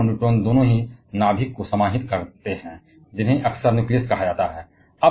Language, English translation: Hindi, And proton and neutron as both of them comprise the nucleus they together are often called nucleons